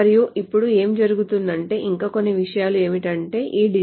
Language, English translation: Telugu, And now what also happens is that, so a couple of more things is that this depositor